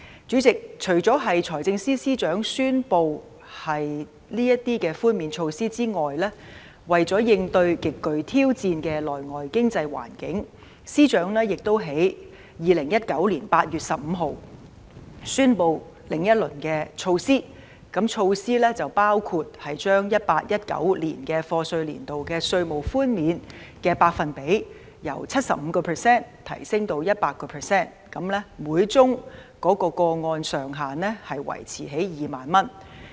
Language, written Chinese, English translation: Cantonese, 主席，除了財政司司長宣布這項寬免措施外，為應對極具挑戰的內外經濟環境，司長亦在2019年8月15日宣布另一輪措施，包括將 2018-2019 課稅年度稅務寬免的百分比由 75% 提升至 100%， 每宗個案的上限維持在2萬元。, Chairman besides this concession measure announced by the Financial Secretary he also announced another round of measures on 15 August 2019 for coping with the highly challenging domestic and external economic environment including an increase of the tax concession rate for the 2018 - 2019 assessment year from 75 % to 100 % while maintaining the ceiling for each case at 20,000